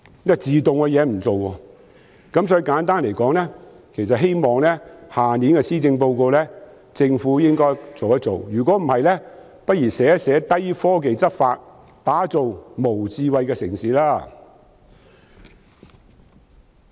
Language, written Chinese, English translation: Cantonese, 因此，我希望政府在明年的施政報告處理這問題，否則不如說是"低科技執法，打造無智慧城市"。, Hence I hope the Government will address this issue in the Policy Address next year . Otherwise it should say that it is using low technology in law enforcement to develop a non - smart city